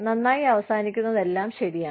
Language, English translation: Malayalam, All is well, that ends well